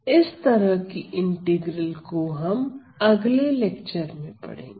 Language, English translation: Hindi, So, this sort of an integral will be dealt slightly later in another lecture